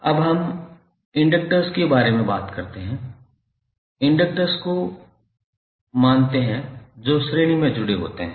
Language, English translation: Hindi, Now, let us talk about the inductors, suppose the inductors, there are Ln inductors which are connected in series